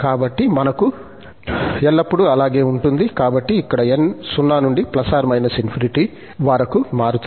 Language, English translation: Telugu, So, that is the case, always we have, so, here n varies from 0 to infinity